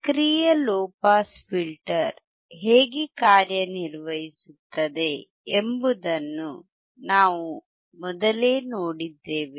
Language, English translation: Kannada, We have earlier seen how the low pass active filter works